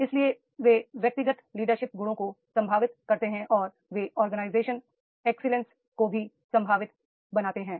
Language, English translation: Hindi, So, they make the individual's leadership qualities potential and they also make the organization that excellence potential is made